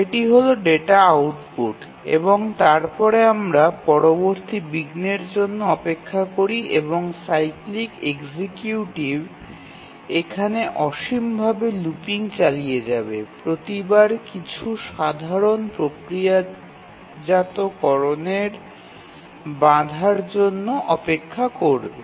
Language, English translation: Bengali, And then wait for the next interrupt and the cyclic executive continues looping here infinitely each time waiting for the interrupt doing some simple processing